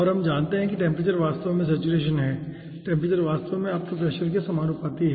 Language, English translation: Hindi, and we know ah, that temperature is actually saturation temperature is actually proportional to your pressure